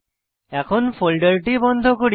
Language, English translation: Bengali, Let me close this folder now